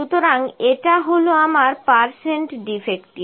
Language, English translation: Bengali, Now this is my percent defective